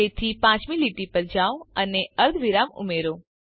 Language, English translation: Gujarati, So go to the fifth line and add a semicolon